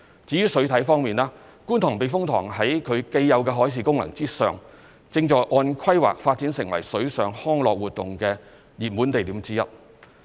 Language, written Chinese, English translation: Cantonese, 至於水體方面，觀塘避風塘在其既有的海事功能上，正按規劃發展成水上康樂活動的熱門地點之一。, As for water body the Kwun Tong Typhoon Shelter apart from its existing marine function is being developed into one of the hotspots for water - based recreational activities as planned